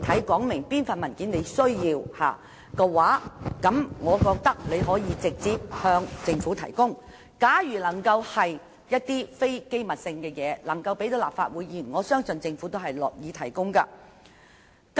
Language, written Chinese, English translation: Cantonese, 假如她能具體說明要索取哪一份文件，可以直接向政府提出，如她要求的並非機密資料，而能公開讓立法會議員查閱的，我相信政府亦樂於提供。, If she can specifically state which document she wants she can make a direct request to the Government . As long as the document requested is not confidential and can be made accessible to Members I believe the Government is pleased to provide such document